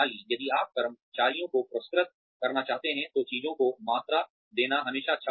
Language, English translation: Hindi, If you want to reward employees, it is always nice to quantify things